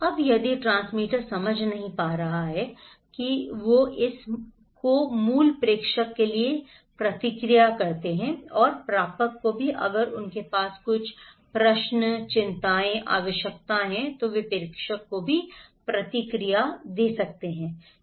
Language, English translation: Hindi, Now, if the transmitter cannot understand, they feedback this one to the original senders, and also the receivers if they have some questions, concerns, needs, they can also give feedback to the senders